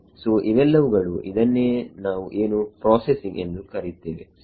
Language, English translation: Kannada, So, these are the this is what is called the processing ok